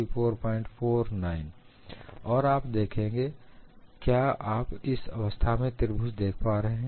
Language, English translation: Hindi, So, you could see, do you see the triangle at all in this case